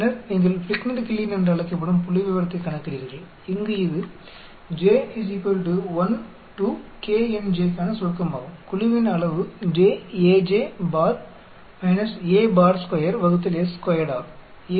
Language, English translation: Tamil, And then you calculate the statistics called Fligner Kiileen where, this is summation of j = 1 to k n j the size of the group j, a j bar a bar square by s 2